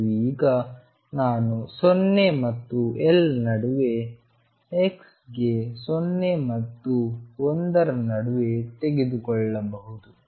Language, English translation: Kannada, And now I can take y between 0 and 1 for x varying between 0 and L